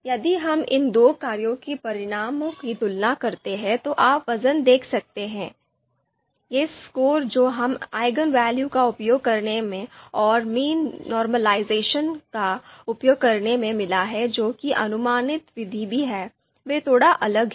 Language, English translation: Hindi, If we compare the results of you know these two functions, so you can see the weights, you know these scores that we have got using Eigenvalue and you know using this Mean Normalization which is also the approximate method, they are slightly different